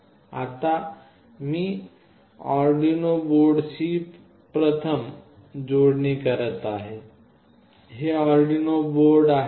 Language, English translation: Marathi, Now I will be doing the connection first with the Arduino board, this is Arduino UNO board